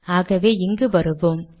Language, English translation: Tamil, So lets come here